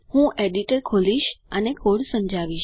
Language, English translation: Gujarati, So I will open the editor and explain the code